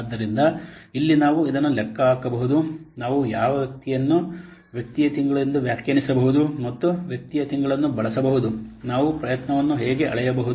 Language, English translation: Kannada, So here in this way we can calculate this what person we can define person month and using person month we can define we can measure effort